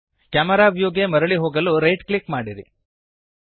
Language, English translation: Kannada, Right click to to go back to camera view